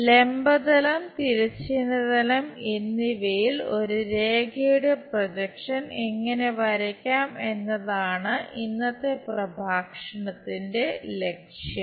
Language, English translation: Malayalam, Objective of today's lecture is how to draw projection of a line on a vertical plane and horizontal plane